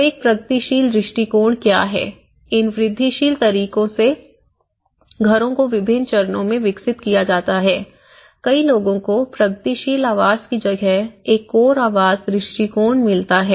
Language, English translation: Hindi, So one is, what is progressive approach, these are the houses developed in different stages in incremental way, right and many people gets a core house approach versus with the progressive housing